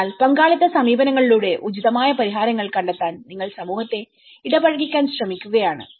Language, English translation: Malayalam, So, you are trying to engage the community to find the appropriate solutions by a participatory approaches